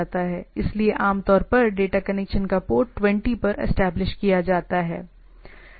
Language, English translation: Hindi, So, typically the data connection is established at port 20